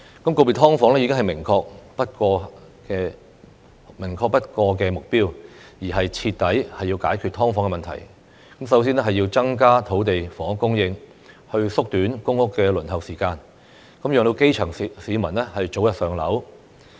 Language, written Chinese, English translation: Cantonese, 告別"劏房"已是明確不過的目標，要徹底解決"劏房"問題，首先便要增加土地房屋供應，縮短公屋輪候時間，讓基層市民早日"上樓"。, To completely solve the problem of SDUs the first step is to increase the supply of land and housing and shorten the waiting time for PRH so that the grass roots can move into PRH as soon as possible